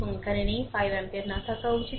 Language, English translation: Bengali, It is not there; 5 ampere should not be there